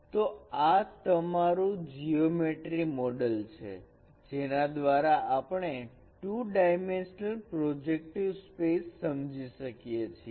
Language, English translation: Gujarati, So this is what is your a geometric model by which we can understand the two dimensional projective space